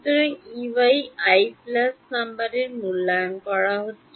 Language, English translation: Bengali, So, E y is being evaluated at i plus no